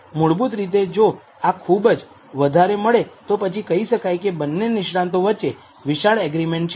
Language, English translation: Gujarati, This basically says if this is high then there is broad agreement between the two experts right